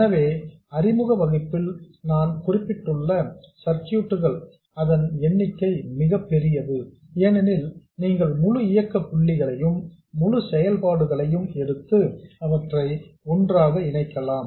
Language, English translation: Tamil, So, the number of circuits that you see, this I alluded to in the introductory lecture also, is very large, because you can take a whole bunch of operating point setups, whole bunch of functionalities and combine them together